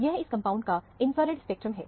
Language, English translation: Hindi, This is a infrared spectrum of the compound